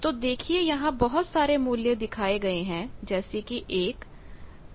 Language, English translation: Hindi, So, you see various values we have shown 1, 0